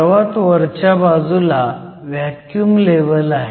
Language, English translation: Marathi, The top of the metal is your vacuum level